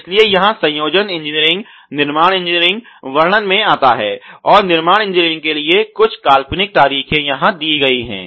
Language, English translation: Hindi, So, here the assembly engineering, the manufacturing engineering comes into picture and some fictitious date has been given here for the manufacturing engineering